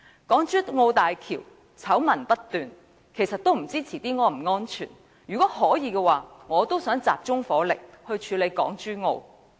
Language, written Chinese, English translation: Cantonese, 港珠澳大橋醜聞不斷，日後也不知道是否安全，如果可以，我亦想集中火力處理這件事。, The Hong Kong - Zhuhai - Macao Bridge is rife with scandals and its future safety is at stake . If I could I wish to concentrate my efforts to deal with it